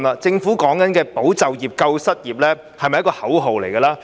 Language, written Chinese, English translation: Cantonese, 政府說的"保就業、救失業"，是否只是一句口號？, Is the Governments statement of preserving employment and assisting the jobless merely a slogan?